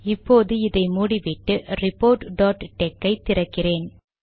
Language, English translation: Tamil, Now I will close this but I will open report dot tex